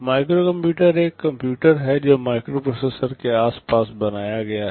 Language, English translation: Hindi, Microcomputer is a computer which is built around a microprocessor